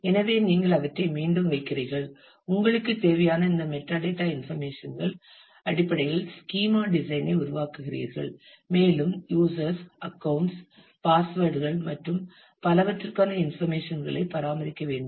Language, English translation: Tamil, So, you put them again, you create the schema design based on the all this metadata information that you need, also you can have you will need to maintain information for users, accounts, passwords and so, on